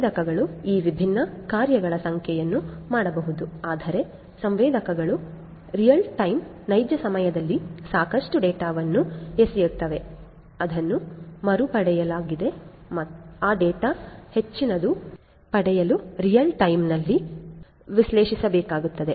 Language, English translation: Kannada, So, sensors can do number of these different things, but the sensors will throwing lot of data in real time which will have to be analyzed in real time as well in order to make the most out of those data that that have been retrieved